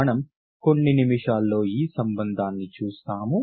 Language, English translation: Telugu, We will see the relation in a few minutes